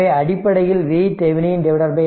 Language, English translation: Tamil, So, basically it is a V Thevenin by R thevenin